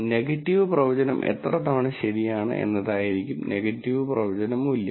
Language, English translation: Malayalam, And the negative predictive value would be the number of times that the negative prediction is right